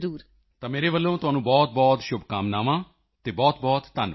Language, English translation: Punjabi, So I wish you all the best and thank you very much